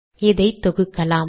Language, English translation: Tamil, Lets compile this